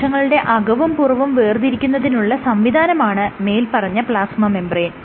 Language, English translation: Malayalam, So, the plasma membrane is that which prevents or separates the inside of the cell from the outside